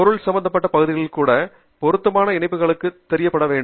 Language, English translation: Tamil, the subject areas also have to be chosen up for appropriate links to show up